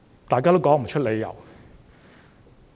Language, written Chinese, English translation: Cantonese, 大家也說不出理由。, Nobody can give a reason for that